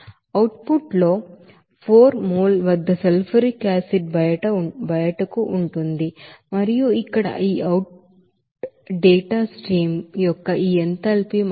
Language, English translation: Telugu, Whereas in output, there will be a sulfuric acid out at 4 mole and here this enthalpy of this outdate stream is 67